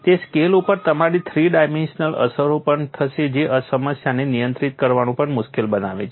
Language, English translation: Gujarati, You will also have three dimensional effects at that scale which also makes the problem difficult to handle